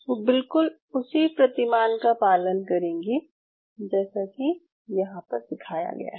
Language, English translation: Hindi, They will follow the same paradigm as has been followed out here